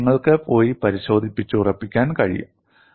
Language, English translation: Malayalam, This you can go and verify